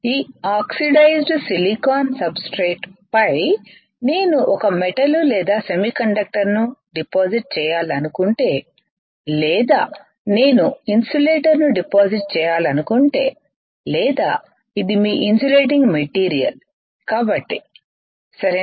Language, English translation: Telugu, On this oxidized silicon substrate if I want to deposit a metal or an a semiconductor or I want to deposit insulator or because this is your insulating material, right